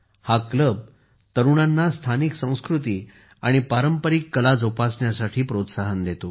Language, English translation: Marathi, This club inspires the youth to preserve the local culture and traditional arts